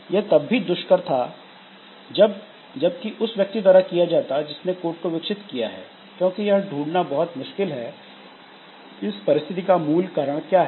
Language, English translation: Hindi, And even if it divide by, done by the same person who developed the code, it is very difficult often to find out the exact cause, the root cause of the situation